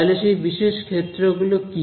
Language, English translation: Bengali, So, what are those special cases